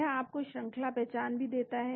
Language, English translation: Hindi, It gives you the sequence identity also